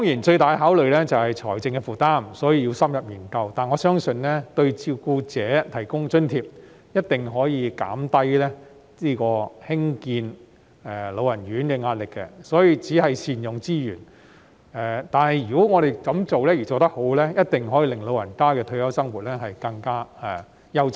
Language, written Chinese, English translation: Cantonese, 最大的考慮當然是財政負擔，所以要深入研究，但我相信為照顧者提供津貼，一定可以減低興建安老院舍的壓力，這是善用資源，如果做得好，一定可以令長者的退休生活更優質。, Since financial burden is certainly the biggest consideration it is necessary to conduct an in - depth study . However I believe providing subsidies for carers will definitely alleviate the pressure in constructing RCHs for the elderly . This is about making good use of resources